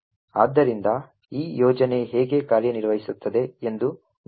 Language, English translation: Kannada, So let us see how this particular scheme works